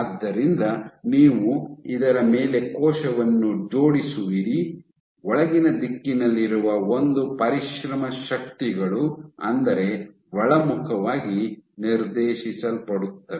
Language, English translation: Kannada, So, you will have a cell assemble on this, an exert forces which are inward direction which are directed inward